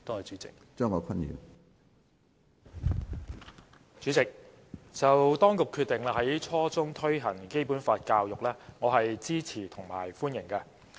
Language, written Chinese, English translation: Cantonese, 主席，對於當局決定在初中推行《基本法》教育，我是支持和歡迎的。, President I support and welcome the authorities decision to introduce Basic Law education in junior secondary school